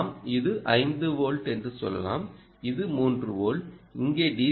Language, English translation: Tamil, let us say this is five volts and what you are getting here is three volts